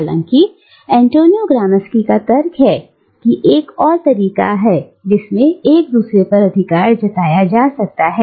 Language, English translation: Hindi, However, Antonio Gramsci argues, that there is also another way in which one can exert one's authority over another